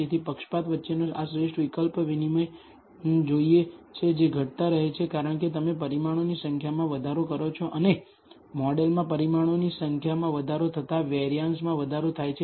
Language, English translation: Gujarati, So, want this optimal trade o between the bias which keeps reducing as you increase the number of parameters and the variance which keeps increasing as the number of parameters in the model increases